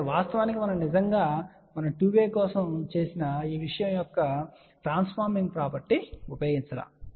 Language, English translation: Telugu, But in reality we have not really use the transforming property of this thing which we had done for a 2 way